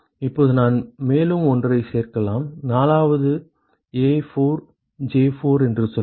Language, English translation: Tamil, Now I can add one more let us say 4th one A4J4